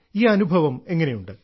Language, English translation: Malayalam, How are you feeling